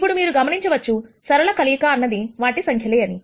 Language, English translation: Telugu, Now you notice, the linear combinations are actually the numbers themselves